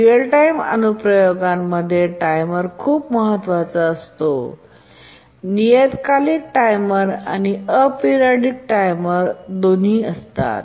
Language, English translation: Marathi, Support for timers because timers are very crucial in real time applications, both the periodic timer and the aperiodic timers